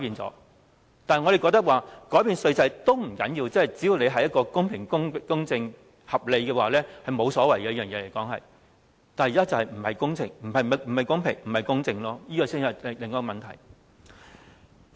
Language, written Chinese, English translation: Cantonese, 我們認為，即使改變稅制也不要緊，只要是公平、公正和合理，這是沒有所謂的，但問題是現在並不公平、公正，這才是另一問題。, In our opinion even changing the tax regime is not a big deal only if this is fair just and reasonable . However the present approach is unfair and unjust and this is another problem